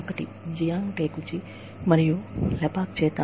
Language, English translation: Telugu, One is, by Jiang Takeuchi, and Lepak